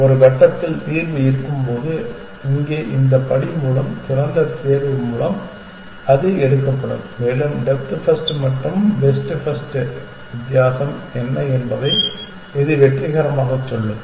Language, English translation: Tamil, When the solution exists at some point, it will be picked by open pick by this step here and it will say succeed what is the difference between depth first and best first